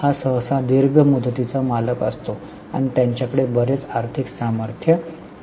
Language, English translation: Marathi, This is often a long term owner and they have got lot of financial strength